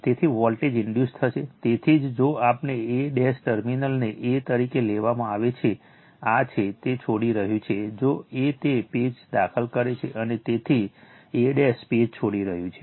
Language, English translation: Gujarati, Therefore, voltage will be induced, so that is why, if we look in to that from a dash say terminal is taken as a, this is the, it is leaving if a is entering into that page, and therefore a dash is leaving the page right